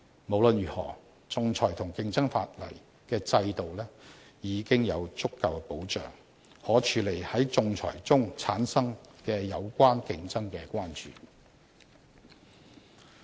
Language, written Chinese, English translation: Cantonese, 無論如何，仲裁和競爭法例制度已有足夠保障，可處理在仲裁中產生的有關競爭的關注。, 619 CO . In any event under the arbitration and competition law regimes there are sufficient safeguards to address competition concerns arising in the context of arbitration